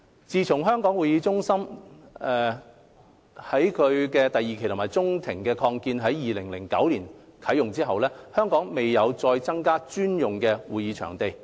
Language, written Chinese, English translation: Cantonese, 自從香港會議展覽中心第二期中庭擴建於2009年啟用後，香港未有再增加專用的會展場地。, Since the commissioning of Phase II and the Atrium Link Extension of the Hong Kong Convention and Exhibition Centre HKCEC in 2009 there has been no additional supply of dedicated CE venues in Hong Kong